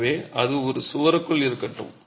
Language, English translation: Tamil, So, be it within a wall